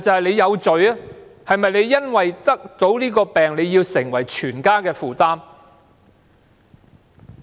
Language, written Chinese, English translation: Cantonese, 他是否要因為患病而成為全家的負擔？, Should they become a burden of the whole family simply because they are sick?